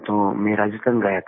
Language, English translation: Hindi, Hence I went to Rajasthan